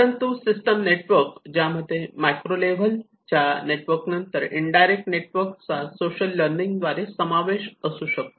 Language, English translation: Marathi, But the system networks which talks about the macro level which has an indirect network which is through the social learning